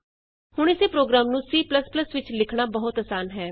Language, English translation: Punjabi, Now, writing a similar program in C++ is quite easy